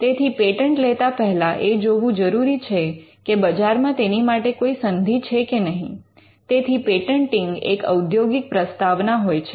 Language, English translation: Gujarati, So, before you patent, you would see whether there is a market for it; which means it patenting is a business proposition